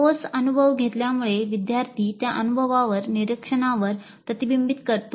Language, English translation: Marathi, Having undergone the concrete experience, the learner reflects on that experience, reflective observation